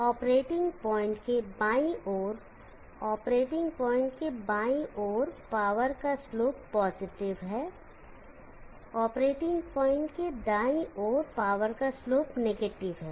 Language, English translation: Hindi, To the left of the operating point the slope of the power is positive, to the right of the operating point the slope of the power is negative